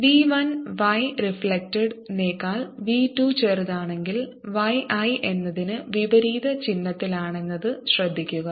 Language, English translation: Malayalam, notice in this that if v two is smaller than v one, y reflected is in opposite sign to y, i